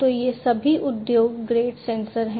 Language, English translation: Hindi, So, these are all industry grade sensors